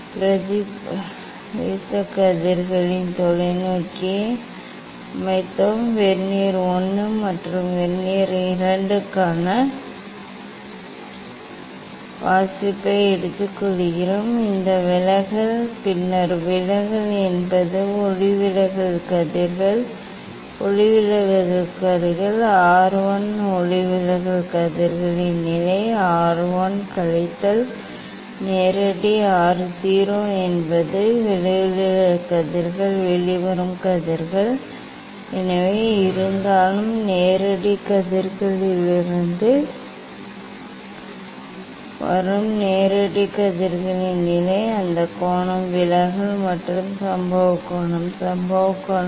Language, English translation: Tamil, We set the telescope at the reflected rays, take the reading for Vernier I and Vernier II this deviation then deviation is that refracted rays; refracted rays R 1, position of the refracted rays R 1 minus the direct R 0 is the position of the direct rays from direct rays whatever the refracted rays emergent rays; that angle is deviation and incident angle; incident angle